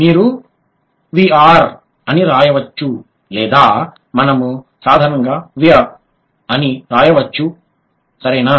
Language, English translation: Telugu, You can write V R or we can write simply we are, right